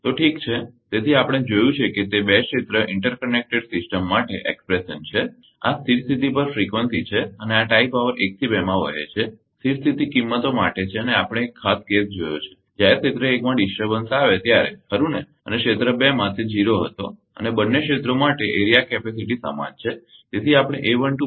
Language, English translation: Gujarati, So, ok, so, we have ah seen that ah that is the expression for two area inter kinetic system this is frequency a steady state and this is the tie power ah flowing for 1 2 to the steady state values and we have seen one space circles when disturbance was in area 1 right and area 2 it was 0 and area capacity same for both the areas